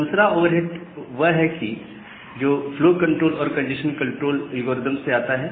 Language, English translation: Hindi, The second over head which comes from the flow control and the congestion control algorithm